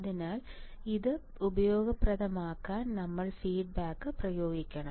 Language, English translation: Malayalam, So, to make it useful we have to apply we have to apply feedback